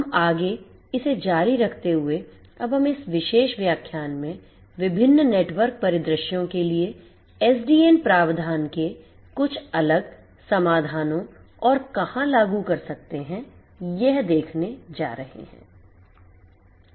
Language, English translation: Hindi, We continue further and now we are going to look at few different solutions and applicability of SDN catering to different network scenarios in this particular lecture